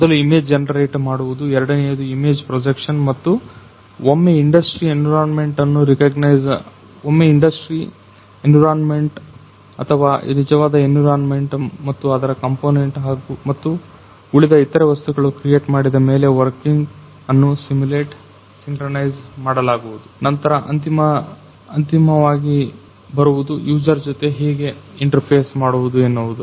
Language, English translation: Kannada, So, first is image generation, second is image projection and then there is there comes the once the industry environment or the actual environment is created and it is component and every other things then working is simulated synchronized, then the ultimately how to interface with the user